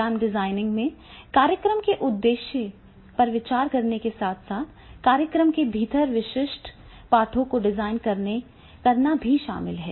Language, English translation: Hindi, Program design includes considering the purpose of the program as well as designing specific lessons within the program